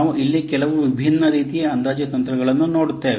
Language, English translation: Kannada, We will see some different other types of estimation techniques